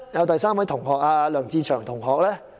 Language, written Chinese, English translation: Cantonese, 第三位是梁志祥同學。, The third classmate is LEUNG Che - cheung